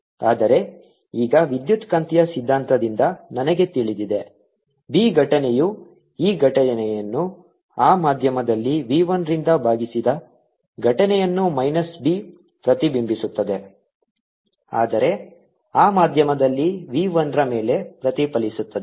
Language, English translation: Kannada, but now i know from electromagnetic theory that b incident is nothing but e incident divided by v one in that medium minus b reflected is nothing but e reflected over v one in that medium